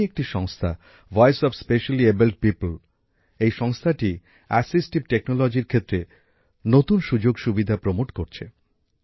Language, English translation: Bengali, There is one such organization Voice of Specially Abled People, this organization is promoting new opportunities in the field of assistive technology